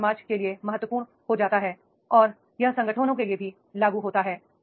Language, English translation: Hindi, So, it becomes important that is the society and if it is applicable for the organizations also